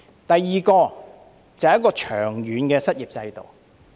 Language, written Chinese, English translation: Cantonese, 第二個是處理長遠失業的制度。, The second comes the system of handling unemployment in the long run